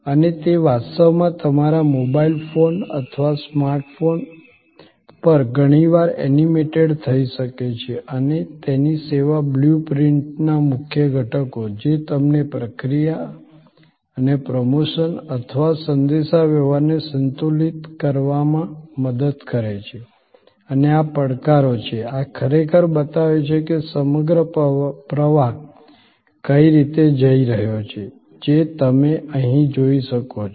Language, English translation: Gujarati, And it can actually be often animated on your mobile phone or a smart phone and so the key components of a service blue print, which help you to balance the process and the promotion or the communication and the challenges are these, this is actually shows how you can see here, this is the how the whole flow is happening